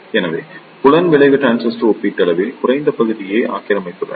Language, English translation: Tamil, So, field effect transistors occupy relatively less area